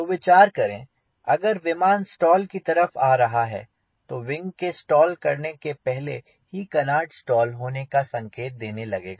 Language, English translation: Hindi, so think of if the airplane is approaching stall then before the wing stall the canard will start giving signal of getting stall earlier than the wing stalls